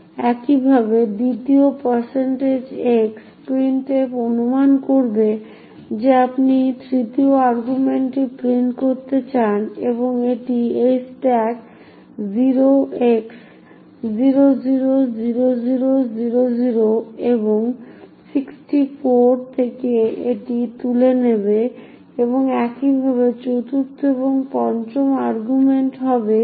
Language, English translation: Bengali, Similarly at the occurrence of the second %x printf will assume that you want to print the third argument and therefore it would pick up this from the stack 0x000000 and 64 and similarly the fourth, fifth and fifth arguments would be f7e978fb and ffffcf6c and ffffd06c